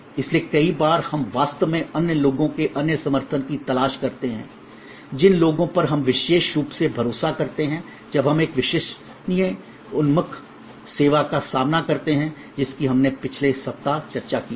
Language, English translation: Hindi, So, many times we actually look for other support from other people, people we trust particularly when we face a credence oriented service which we discussed in last week